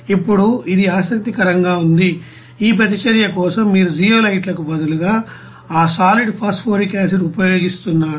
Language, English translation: Telugu, Now this is interesting that for this reaction, you are using that solid phosphoric acid instead of zeolites